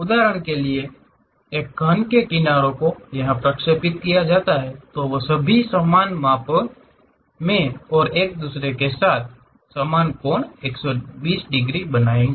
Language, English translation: Hindi, For example, the edges of a cube are projected so that they all measure the same and make equal angles 120 degrees with each other